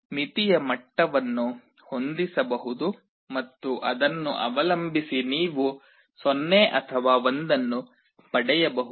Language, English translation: Kannada, There is a threshold level, which can be set and depending on that you can get either a 0 or 1